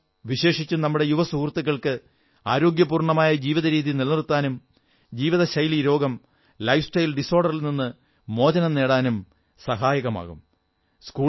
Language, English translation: Malayalam, Yoga will be helpful for especially our young friends, in maintaining a healthy lifestyle and protecting them from lifestyle disorders